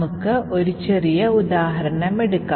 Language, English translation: Malayalam, So, let us take a small example